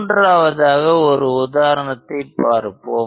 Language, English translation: Tamil, Let us consider a third example